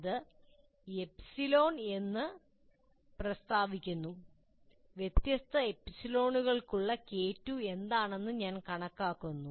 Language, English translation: Malayalam, And to that extent for different specified epsilon, I compute what K2 is